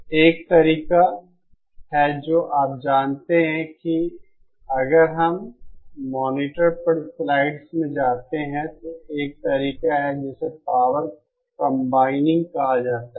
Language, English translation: Hindi, So one of the ways you know if we go to the slides on the monitor is a method called ÒPower CombiningÓ